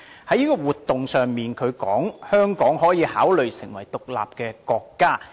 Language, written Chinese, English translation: Cantonese, 他在活動中指出，香港可以考慮成為獨立國家。, During the event he claimed that Hong Kong might consider becoming an independent state